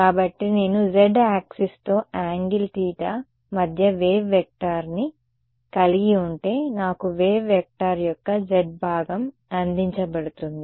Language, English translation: Telugu, So, if I have a wave vector between angle theta with the z axis, giving me the z component of the wave vector right